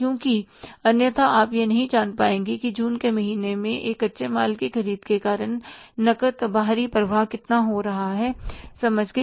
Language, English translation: Hindi, Because otherwise you won't be able to know that how much is going to the cash outflow on account of the purchases of a raw material in the month of June